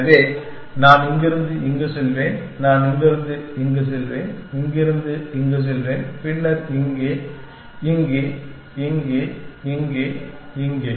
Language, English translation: Tamil, So, I will go from here to then, I will go from here to here, go from here to here then here, here, here to here, here to here